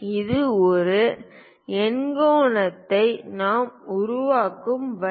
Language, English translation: Tamil, This is the way we construct an octagon